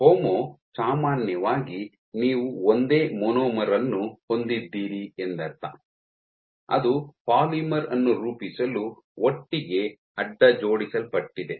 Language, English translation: Kannada, So, homo refers to generally you have a single monomer which is being cross linked together to form a polymer